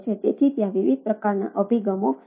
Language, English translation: Gujarati, so there are different ah type of approaches